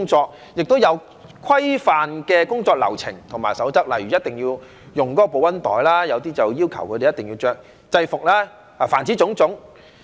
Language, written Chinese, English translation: Cantonese, 再者，它們亦有訂下規範的工作流程及守則，例如一定要用該公司的保溫袋，有些則要求他們一定要穿制服。凡此種種。, Besides they have also laid down standardized operating procedures and guidelines such as stipulating the use of the insulated thermal bags provided by the company and some have even required their workers to wear uniform